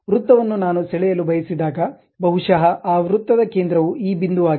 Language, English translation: Kannada, Circle I would like to draw, maybe center of that circle is this point